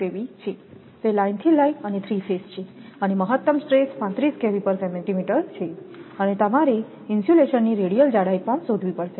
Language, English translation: Gujarati, It is line to line and 3 phase and maximum stress is 35 kilo volt per centimeter and you have to find out also the radial thickness of insulation